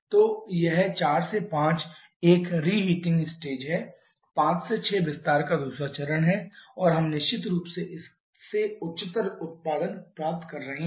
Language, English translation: Hindi, So, this 4 to 5 is a reheating stage 5 to 6 is the second stage of expansion and we are definitely getting higher work output from this